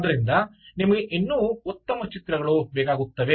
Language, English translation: Kannada, you still need good pictures